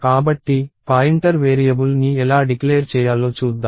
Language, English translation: Telugu, So, let us see how to declare a pointer variable